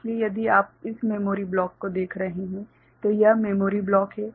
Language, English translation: Hindi, So, if you are looking at this memory block so, this is the memory block right